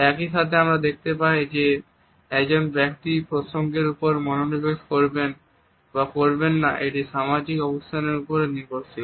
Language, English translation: Bengali, At the same time we find that whether a person is mindful of the context or not also depends on the social positions